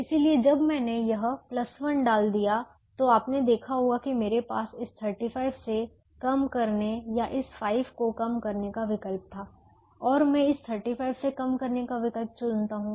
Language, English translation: Hindi, therefore, when i put this plus one, you would realize that i had a choice of either reducing from this thirty five or reducing from this five